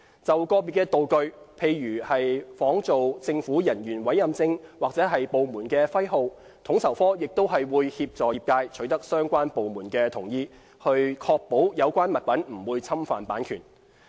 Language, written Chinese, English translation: Cantonese, 就個別的道具，例如仿造政府人員委任證或部門徽號，統籌科亦會協助業界取得相關部門的同意，以確保有關物品不會侵犯版權。, For production of certain props such as identity or warrant cards of government officers or logos of government departments FSO would assist in obtaining consent from the relevant departments to ensure no infringement of copyrights